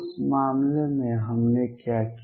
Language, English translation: Hindi, What did we do in that case